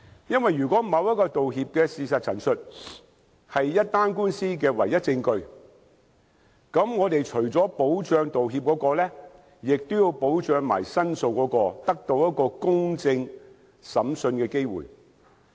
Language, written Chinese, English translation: Cantonese, 因為如果某項道歉的事實陳述是一宗官司的唯一證據，則我們除了要保障道歉人外，亦要保障申訴人得到公正審訊的機會。, In case a statement of fact accompanying an apology is the only evidence in a court case we should protect not only the right of the apology maker but also the claimants right to a fair hearing